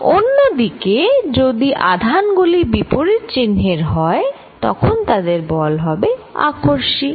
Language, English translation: Bengali, On the other hand, if the charges are of opposite sign, then the force is going to be attractive